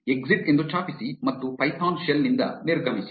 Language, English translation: Kannada, Type exit and exit the python shell